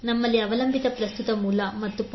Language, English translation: Kannada, We also have the dependent current source and the 0